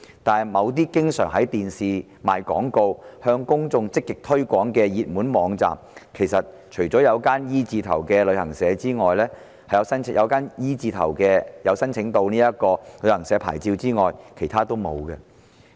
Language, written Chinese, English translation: Cantonese, 但是，某些經常透過電視廣告向公眾積極推廣的熱門網站之中，除了那間名稱以字母 "E" 字起首的旅行社有申請牌照外，其他的都沒有。, However amongst those popular websites that always actively market to the public via television commercials―save the one with the name initiated with the letter E―none has obtained a licence